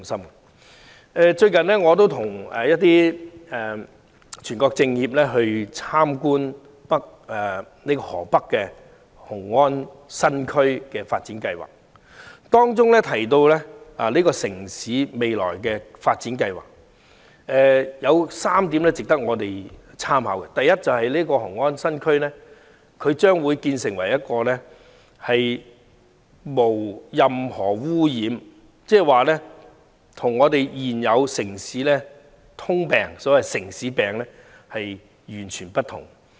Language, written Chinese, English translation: Cantonese, 最近我亦與一些中國人民政治協商會議全國委員會委員參觀河北雄安新區的發展，該城市未來的發展計劃有3點值得我們參考：第一，雄安新區將會成為一個無污染地區，與現時普遍帶有"城市病"的城市截然不同。, Recently I have visited Xiongan New Area in Hebei with some members of the National Committee of the Chinese Peoples Political Consultative Conference . There are three points in the future development plan of the city which merit our consideration First Xiongan New Area will become a pollution - free area which is vastly different from those cities commonly affected by urban diseases nowadays